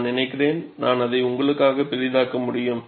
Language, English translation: Tamil, I think, I could magnify it for you